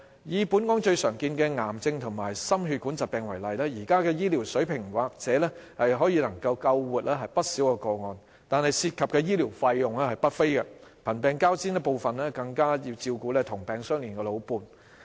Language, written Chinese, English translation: Cantonese, 以本港最常見的癌症及心血管疾病為例，現時的醫療水平或許能救活不少個案，但涉及的醫療費用不菲，貧病交煎，部分更要照顧"同病相憐"的老伴。, Take cancer and cardiovascular disease which are very common in Hong Kong as an example . The present medical level may be able to save many people who have these diseases but the medical costs are high . Many patients in these cases are poor and sick and some of them even have to take care of their old spouse who may have similar illnesses